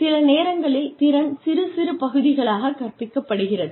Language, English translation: Tamil, Sometimes skill is taught in pieces